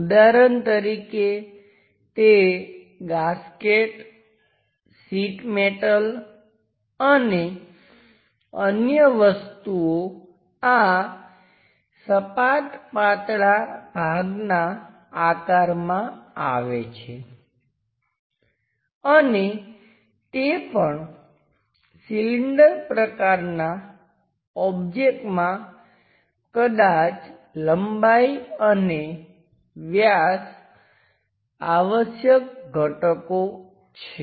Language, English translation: Gujarati, For example, the typical gaskets, sheet metals and other things fall under this flat thin part shapes and also, cylindrical shaped objects perhaps length and diameter are the essential components